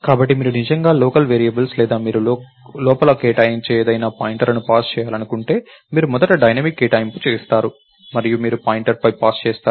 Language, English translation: Telugu, pointers to local variables or anything that you allocate inside, you first of all do dynamic allocation and you pass on a pointer